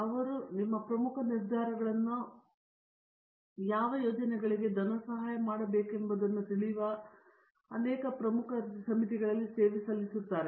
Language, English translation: Kannada, He serves many important committees which make key decisions on you know what projects should be funded and so on